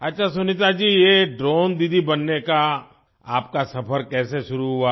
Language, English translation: Hindi, Okay Sunita ji, how did your journey of becoming a Drone Didi start